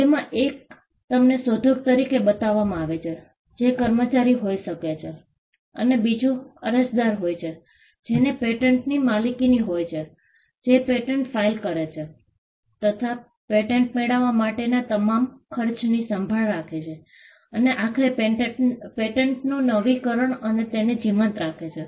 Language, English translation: Gujarati, One, you are shown as a inventor, which could be the employee and there is a status of as the applicant itself who, the person who owns the patent, who files the patent, takes care of all the expenses for the patent to get granted, and who eventually renews the patent and keeps it alive